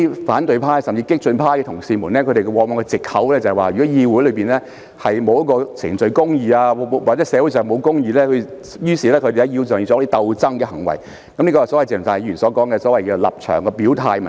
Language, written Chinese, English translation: Cantonese, 反對派甚至激進派議員往往指出，議會內如沒有程序公義，社會上如沒有公義，他們便需要在議會內作出鬥爭行為，這便是鄭松泰議員所提出的立場表態問題。, The opposition camp and even the radical Members used to say that if there was no procedural justice in the legislature there would also be no justice in society and thus their antagonistic behaviour was necessary in the legislature . This is the stance expression issue mentioned by Dr CHENG Chung - tai